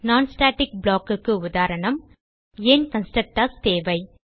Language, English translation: Tamil, Simple example of non static block And Why we need constructors